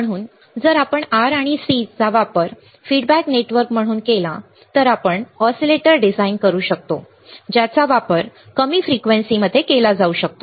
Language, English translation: Marathi, So, using this if we use R and C as a feedback network right then we can design oscillators which can be used at lower frequency